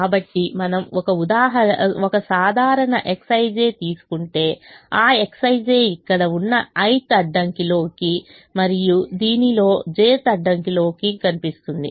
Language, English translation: Telugu, so if we take a typical x i j, that x i j will appear in the i'h constraint here and in the j't constraint in this